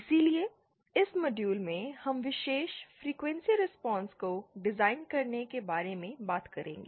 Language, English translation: Hindi, So, in this module we shall be talking about designing particular frequency response